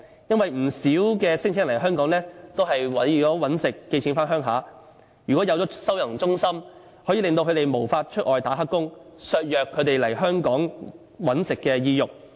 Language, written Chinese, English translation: Cantonese, 因為不少聲請人來香港，都是為了謀生然後寄錢回家鄉，如果設立了收容中心，便可以令他們無法外出打黑工，削弱他們來香港謀生的意欲。, It is because the major purpose of many of the claimants is to come to find a job in Hong Kong and then send some money back to their home countries . If a holding centre is set up then they will not be able to engage in illegal employments thus reducing their desire for coming and looking for a job in Hong Kong